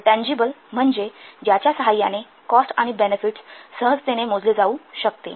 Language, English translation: Marathi, Tangibility refers to the easy with which cost or benefits can be measured